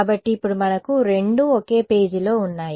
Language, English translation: Telugu, So, now we have them both on the same page